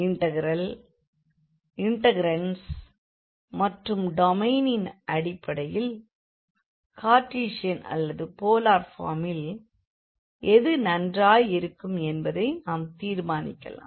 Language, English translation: Tamil, And that based on the integral integrants and also the domain, we can easily decide that which form is better whether the Cartesian or the polar form we have seen through some examples